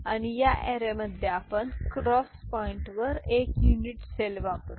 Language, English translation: Marathi, And in this array we shall use the at the cross point a unit cell